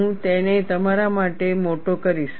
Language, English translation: Gujarati, I will magnify it for you